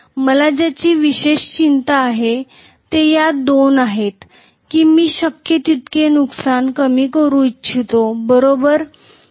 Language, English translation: Marathi, What I am worried specifically about are these two and I would like minimize the losses as much as possible, right